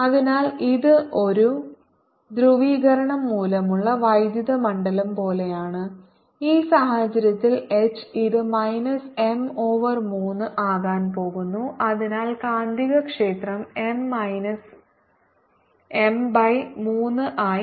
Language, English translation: Malayalam, so this is like the electric field due to a polarization, and h in this case then is going to be minus m over three and therefore the magnetic field is going to be m minus m by three, which is two m by three